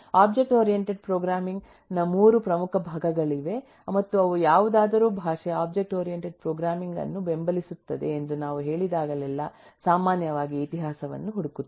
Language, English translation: Kannada, there are 3 important parts of object oriented programming and whenever we say that a language supports object oriented programming will typically look for the history